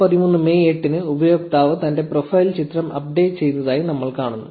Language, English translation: Malayalam, So, we see that the user updated his profile picture on May 8, 2013